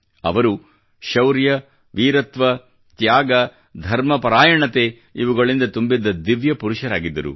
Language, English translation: Kannada, He was a divine figure full of heroism, valor, courage, sacrifice and devotion